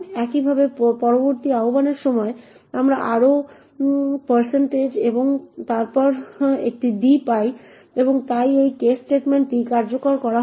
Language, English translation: Bengali, Similarly during the next invocation we also get another % and then a d and therefore this case statement would get executed